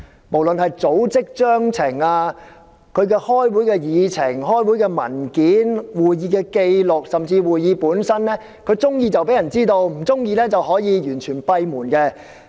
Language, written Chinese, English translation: Cantonese, 無論是組織章程、會議的議程、文件、紀錄甚至是過程，喜歡便公開，不喜歡便可以閉門進行。, RCs will only make public their Constitutions agendas papers records or even proceedings of meetings if they feel like to; otherwise closed meetings will be conducted